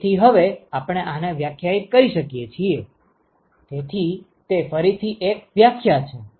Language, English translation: Gujarati, So now we can define, so again it is a definition